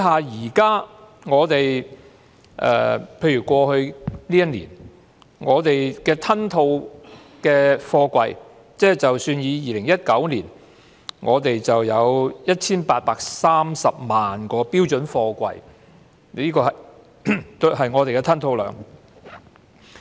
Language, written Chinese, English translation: Cantonese, 有關過去一年香港的貨櫃吞吐量，以2019年為例，我們有 1,830 萬個標準貨櫃的吞吐量。, Take the container throughput of Hong Kong in 2019 as an example . We had a throughput of 18.3 million twenty - foot equivalent units TEUs in 2019